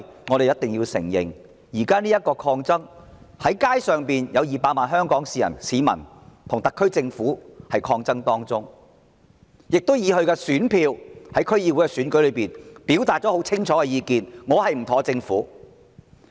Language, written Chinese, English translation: Cantonese, 我們必須承認，現時的抗爭並未結束，有200萬曾經上街的香港市民正與特區政府抗爭，並以其選票在區議會選舉中表達了清楚意願，表明不滿政府。, We must admit that the current wave of resistance is not yet over and the 2 million Hong Kong people who have taken to the streets are still resisting the SAR Government . They have used their votes to clearly express their dissatisfaction with the Government in the District Council Election